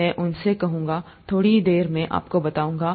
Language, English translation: Hindi, I’ll tell them, tell that to you in a little while